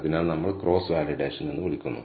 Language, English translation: Malayalam, So, we do something called cross validation